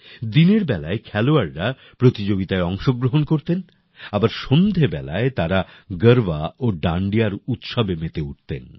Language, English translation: Bengali, While the players also used to participate in the games during the day; in the evening they used to get immersed in the colors of Garba and Dandiya